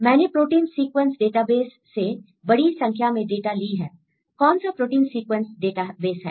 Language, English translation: Hindi, I take a large number of data in the protein sequence database, what is the protein sequence database